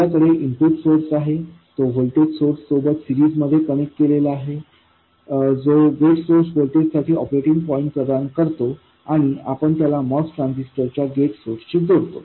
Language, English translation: Marathi, And that is connected in series with a voltage source which provides the operating point for the gate source voltage and we connect it to the gate source of the most transistor